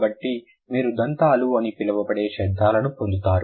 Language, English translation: Telugu, So, then you get the sounds which are known as dentals